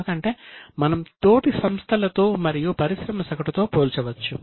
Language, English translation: Telugu, You can compare it with peers, with industry averages and so on